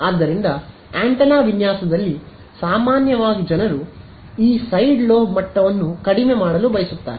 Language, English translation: Kannada, So, in antenna design typically people want to reduce this side lobe level